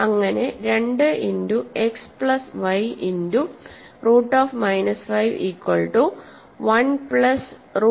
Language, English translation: Malayalam, So, lets see some consequence of this equality you have 2 x plus 2 y square root minus 5 is 1 plus square root minus 5